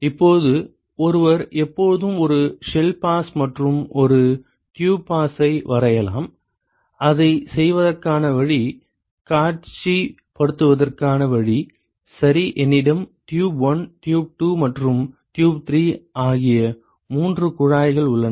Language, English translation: Tamil, Now, one can always draw a one shell pass and one tube pass, the way to do that is way to visualize that is: Ok, I have three tubes tube 1, tube 2 and tube 3